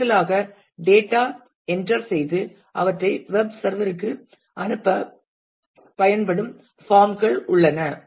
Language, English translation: Tamil, And in addition there are forms which can be used to enter data and send them back to the web server